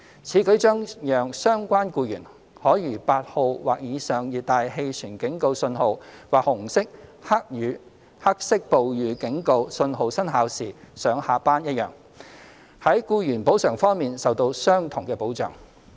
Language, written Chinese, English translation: Cantonese, 此舉將讓相關僱員可如8號或以上熱帶氣旋警告訊號或紅色/黑色暴雨警告訊號生效時上下班一樣，在僱員補償方面受到相同的保障。, This will provide employees compensation protection to the relevant employees on par with that under T8 or above or when the Red or Black Rainstorm Warning is in force